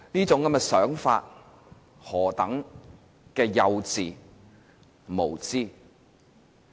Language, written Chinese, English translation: Cantonese, 這種想法是何等幼稚無知。, How naïve and ignorant such a way of thinking is